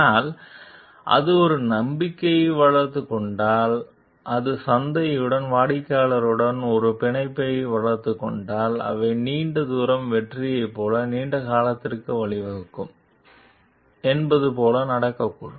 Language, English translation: Tamil, So, but if it develops a trust, if it develops a bond with the market and with the customers, they it may so happen like it will lead to a long term, like the long range success